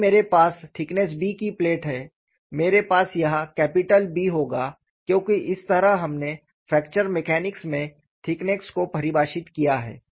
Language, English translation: Hindi, Say if I have a plate of thickness b, I would here have capital B, because that is how we have defined the thickness in fracture mechanics